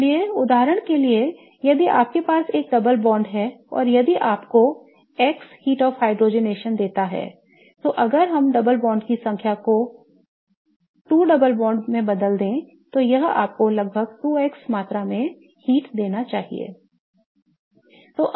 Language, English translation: Hindi, So, for example, if you have one double bond and if it gives you a heat of hydrogenation to be X, then if we change the number of double bonds to two double bonds, then it should give you approximately 2x amount of heat